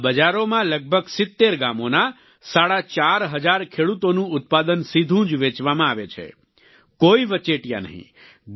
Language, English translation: Gujarati, In these markets, the produce of about four and a half thousand farmers, of nearly 70 villages, is sold directly without any middleman